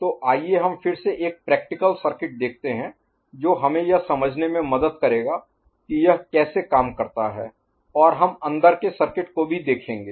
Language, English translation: Hindi, So, let us look at again a practical circuit which will help us in understanding how it works and we shall look at inside circuitry as well